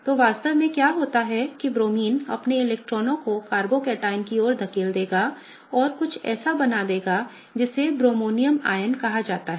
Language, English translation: Hindi, So, what really happens is that the Bromine will push its electrons towards the carbocation and will form something called as a Bromonium ion